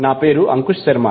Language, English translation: Telugu, My name is Ankush Sharma